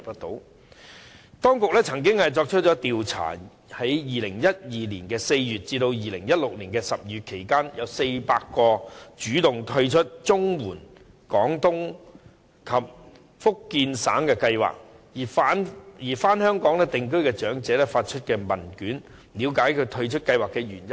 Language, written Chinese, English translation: Cantonese, 當局曾經進行調查，在2012年4月至2016年12月期間，向400名主動退出綜援長者廣東及福建省養老計劃而返港定居的長者發出問卷，了解他們退出的原因。, The authorities once conducted a survey and issued questionnaires to 400 elderly people who had opted out of the PCSSA Scheme and returned to live in Hong Kong during the period from April 2012 to December 2016 so as to ascertain the reason why they opted out of the scheme